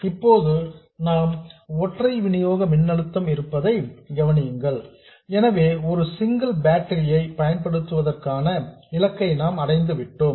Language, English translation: Tamil, Now notice that we have a single supply voltage for the whole thing, so we have accomplished our goal of using a single battery